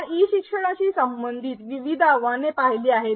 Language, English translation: Marathi, We have seen various challenges associated with e learning